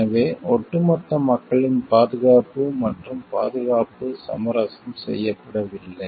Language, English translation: Tamil, So, that the safety and security of the people at large are not compromised